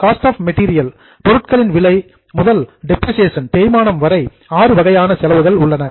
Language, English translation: Tamil, There are six categories of expenses starting from cost of material to depreciation